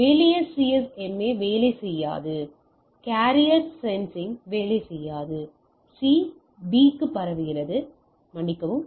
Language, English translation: Tamil, Simple CSMA will not work carrier sensing will not work, C transmit to B sorry